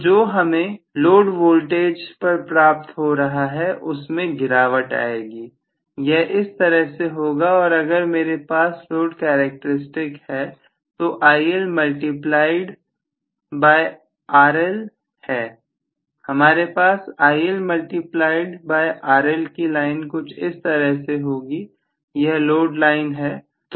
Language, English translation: Hindi, So what is available at the load terminal will fall eventually, so this is how it going to be and if I have actually the load characteristics which is IL multiplied by RL, maybe if I have IL multiplied by RL at this particular line, load line this is the load line